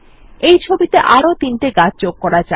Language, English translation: Bengali, Lets add three more trees to this picture